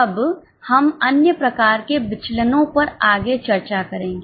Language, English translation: Hindi, Now we will discuss further on other types of variances